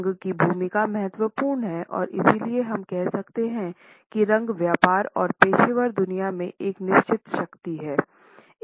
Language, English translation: Hindi, The role of color is important and therefore, we can say that colors hold a certain power in business and professional world